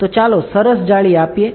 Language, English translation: Gujarati, So, let us give a fine mesh